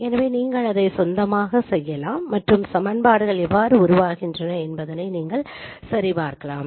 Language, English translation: Tamil, So you can do it on your own and you can check how these equations are formed